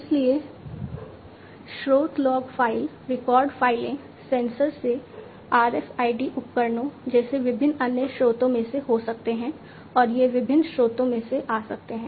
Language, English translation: Hindi, So, the sources could be from log files, record files, you know from sensors, from different other sources like RFID devices, etcetera and these could be coming from different sources